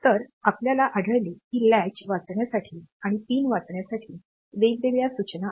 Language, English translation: Marathi, So, accordingly we will find that there are separate instructions for reading latch and reading pin